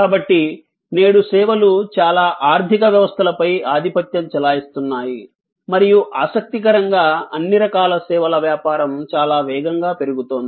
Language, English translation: Telugu, So, services today dominate most economies and most interestingly all types of services business are growing very rapidly